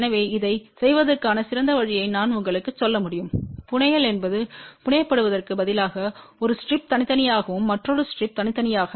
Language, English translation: Tamil, So, I can tell you a better way to do the fabrication is that instead of fabricating then one strip separately and the another strip separately